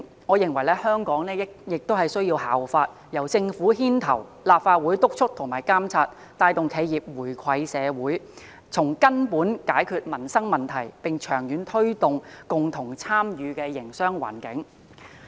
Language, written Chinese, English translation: Cantonese, 我認為香港亦應當效法內地，由政府牽頭，立法會督促和監察，帶動企業回饋社會，從根本解決民生問題，並長遠推動共同參與的營商環境。, I think Hong Kong should take cue from the Mainland and have the Government take up leadership to motivate enterprises to contribute back to society with the Legislative Council playing a supervisory and monitoring role . This will resolve livelihood issues at root and promote a business environment which is open to participation by all in the long run